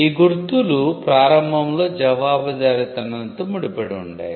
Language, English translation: Telugu, Marks initially used to be tied to liability